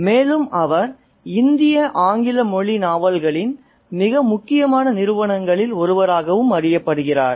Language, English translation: Tamil, And he is also known as one of the most important founders of the English language Indian novel